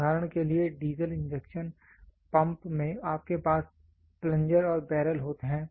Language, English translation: Hindi, For example, in diesel injection pumps you have plunger and barrel